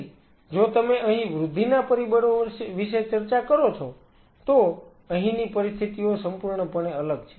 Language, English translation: Gujarati, So, the conditions out here if you talk about the growth factors here they are totally different these 2 conditions are very unequal